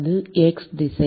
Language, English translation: Tamil, That is x direction